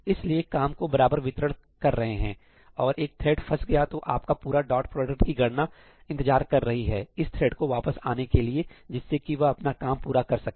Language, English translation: Hindi, So, if you are doing equal distribution of work and one thread gets stuck, then your entire dot product computation is waiting for that thread to come back, to finish its work and come back